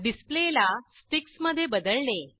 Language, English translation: Marathi, Change the display to Sticks